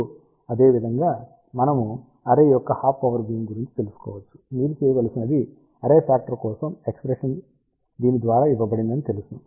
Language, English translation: Telugu, Now, similarly we can find out half power beamwidth of the array, what you need to do we know that expression for array factor is given by this